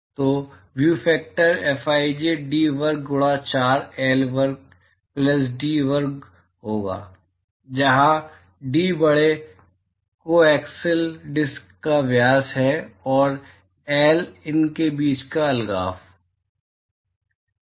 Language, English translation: Hindi, So, the view factor Fij will be D square by 4 L square plus D square, where D is the diameter of the larger coaxial disc and L is the separation between them